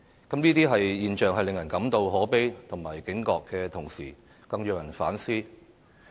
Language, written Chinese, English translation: Cantonese, 這些現象令人感到可悲和警覺的同時，更讓人反思。, Such phenomena are both saddening and alarming and a self - reflection is also necessary